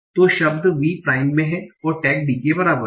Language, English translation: Hindi, So, word is in v prime and tag is D